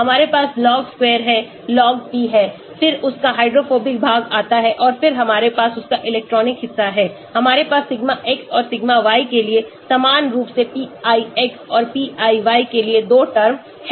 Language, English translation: Hindi, We have log p square, log p, then comes the hydrophobic part of it and then we have the electronic part of it, we have 2 terms one for sigma x and sigma y similarly for pix and pi y